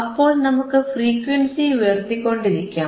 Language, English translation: Malayalam, So, we will keep on increasing the frequency